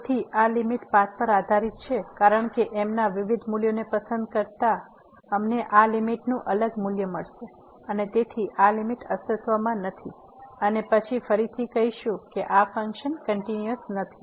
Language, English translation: Gujarati, So, this limit depends on path because choosing different value of we will get a different value of this limit and hence this limit does not exist and then again we will call that this function is not continuous